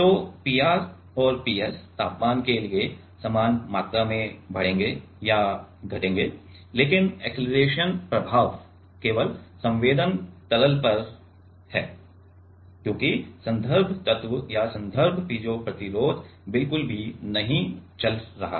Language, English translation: Hindi, So, P r and P s will increase or decrease by same amount for temperature, but the acceleration effect is only on the sensing liquid, because the reference element or reference piezo resistor is not moving at all